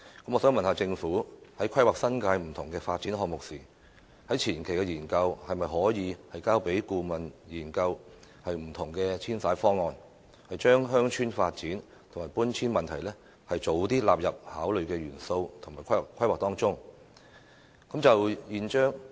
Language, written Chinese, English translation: Cantonese, 我想問政府，在規劃新界不同發展項目的前期研究中，當局可否交由顧問研究不同的遷徙方案，將鄉村發展和搬遷問題盡早納入為規劃的考慮元素？, May I ask the Government whether the authorities can in the preparatory studies for the planning of various development projects in the New Territories engage a consultant to look into different relocation options making village development and relocation as considerations for planning as early as possible?